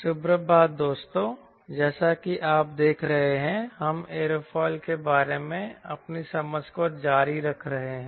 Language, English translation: Hindi, as you have been noticing that we are continuing our understanding about aerofoil